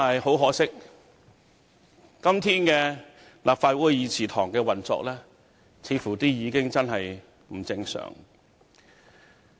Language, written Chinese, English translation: Cantonese, 很可惜，今天立法會議事堂的運作，似乎真的不正常。, Much to our regret the operation of the Legislative Council today seems to be really abnormal